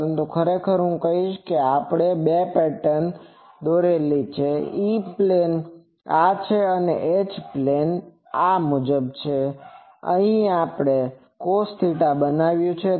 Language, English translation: Gujarati, But actually I will say that the 2 patterns we have drawn, E plane is this and H plane pattern here we have made a cos theta thing